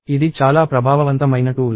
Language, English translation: Telugu, This is a very effective tool